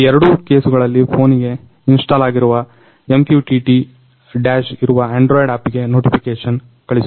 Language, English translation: Kannada, In both cases, it sends a notification on the android app where MQTT Dash which is installed on the phone